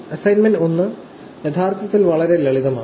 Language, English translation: Malayalam, The assignment 1 is actually pretty simple